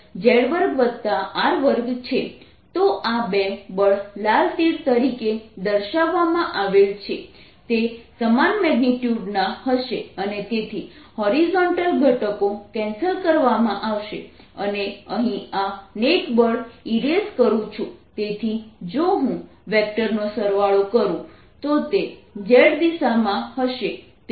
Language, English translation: Gujarati, so these two forces shown be red arrows are going to have the same magnitude and therefore their horizontal components will are going to be cancelling and the net force let me erase this net force therefore, if i take a vector sum, is going to be in the z direction